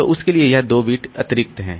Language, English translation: Hindi, So, this 2 bits of extra for that